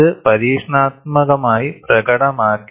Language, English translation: Malayalam, It has been experimentally demonstrated